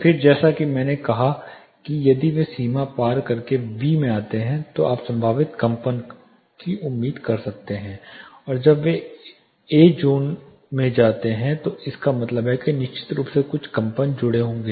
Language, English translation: Hindi, Then as I said if they cross and get into the boundary B then you will you can expect probable vibrations and when they go into zone A it means there are going to be certainly some vibrations associated